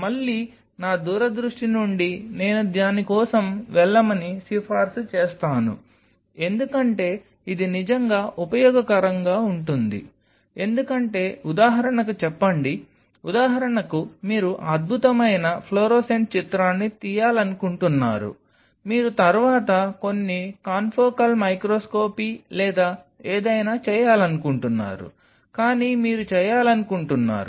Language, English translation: Telugu, Again, out of my farsightedness I will recommend go for it because that is really helpful because then you have a recording like say for example, you want to take wonderful florescent picture you will be doing later some confocal microscopy or something, but you want to take that picture or your cells adhering to some florescent nanomaterial or some other material